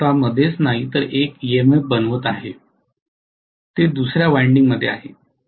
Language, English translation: Marathi, It is inducing an EMF not in its own self, it is in another winding